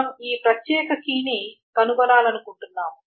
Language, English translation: Telugu, So we want to find this particular key